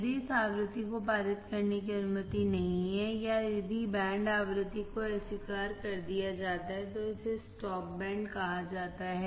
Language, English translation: Hindi, If this frequency is not allowed to pass or if band frequency is rejected, then it is called stop band